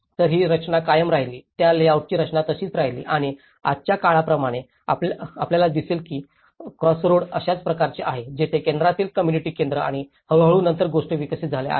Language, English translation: Marathi, So, that the structure remained, the structure of that layout remained as it is and like now today, you see that the crossroad is like this where the community center in the center and gradually things have developed later on